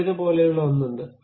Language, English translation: Malayalam, There is something like scissors